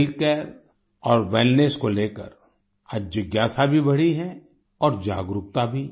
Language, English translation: Hindi, Today there has been an increase in curiosity and awareness about Healthcare and Wellness